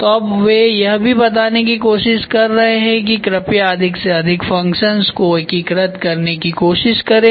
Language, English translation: Hindi, So, now they are also trying to tell you please integrate with multiple functions as much as possible